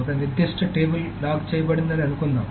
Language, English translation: Telugu, Suppose a particular table is locked